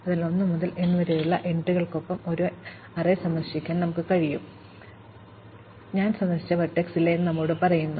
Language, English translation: Malayalam, So, we can keep an array visited with entries 1 to n, which tells us whether or not vertex i has been visited